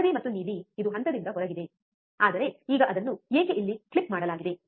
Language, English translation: Kannada, Yellow and blue it is the out of phase, but why it is the now clipped here why it is clipped, right